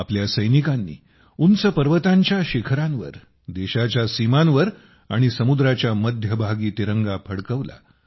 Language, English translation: Marathi, Our soldiers hoisted the tricolor on the peaks of high mountains, on the borders of the country, and in the middle of the sea